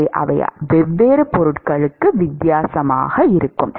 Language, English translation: Tamil, So, they will be different for different materials